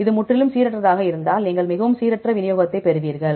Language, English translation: Tamil, If it is completely random you get very random distribution